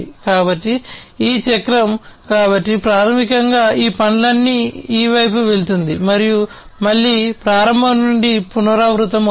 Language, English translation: Telugu, So, this cycle so basically it goes through this side these all these tasks and again repeat from the start